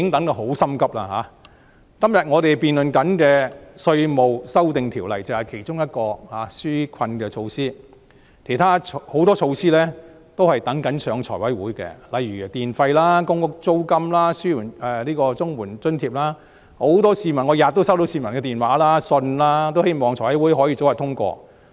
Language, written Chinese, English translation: Cantonese, 我們今天所辯論的稅務修訂條例就是其中一項紓困措施，還有很多措施正等待提交財務委員會審議，例如有關電費、公屋租金、綜援等津貼措施，我每天都收到市民的來電和來信，他們希望財委會可以早日通過。, What we are debating today the Inland Revenue Amendment Ordinance 2019 is one of these relief measures . More measures await the scrutiny of the Finance Committee such as the measures to subsidize electricity tariff rents of public rental housing payments of the Comprehensive Social Security Assistance and so on . Each day I receive phone calls and letters from the public and they all wish that the measures can be approved by the Finance Committee as early as possible